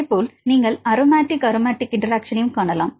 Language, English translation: Tamil, The likewise you can see aromatic aromatic interactions